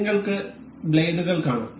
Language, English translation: Malayalam, You can see the blades